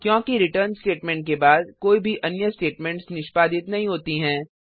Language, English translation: Hindi, This is because after return statement no other statements are executed